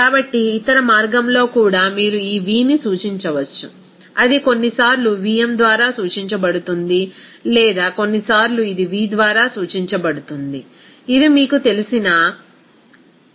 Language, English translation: Telugu, So in the other way also you can represent this v that will be sometimes it is represented by Vm sometimes or sometimes it is represented by V you know that hat like this